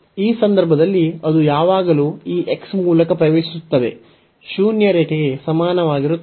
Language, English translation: Kannada, So, in this case it always enters through this x is equal to zero line